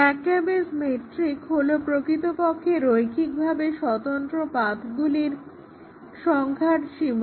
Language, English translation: Bengali, So, the McCabe’s metric is actually is a bound on the number of linearly independent paths